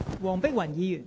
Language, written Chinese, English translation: Cantonese, 黃碧雲議員，請發言。, Dr Helena WONG please speak